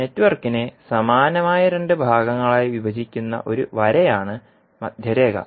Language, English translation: Malayalam, Center line would be a line that can be found that divides the network into two similar halves